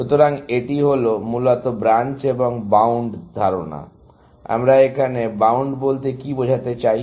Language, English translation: Bengali, So, this is the idea of Branch and Bound, essentially; that what do we mean by bound here